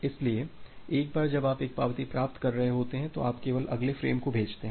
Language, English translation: Hindi, So, once you are receiving this acknowledgement, then you only send the next frame